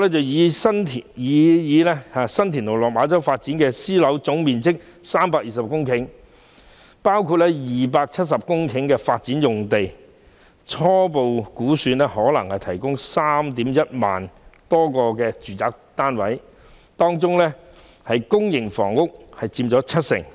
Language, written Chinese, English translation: Cantonese, 擬議新田/落馬洲發展樞紐的總面積為320公頃，包括270公頃發展用地，初步估算可提供 31,000 多個住宅單位，當中公營房屋將佔七成。, The proposed STLMC DN covers a total area of about 320 hectares including 270 hectares of land for development and is tentatively estimated to provide over 31 000 residential units of which 70 % will be public housing units